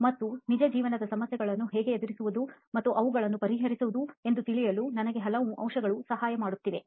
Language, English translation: Kannada, And it is helping me with many aspects to know about businesses and how to deal with real life problems and solve them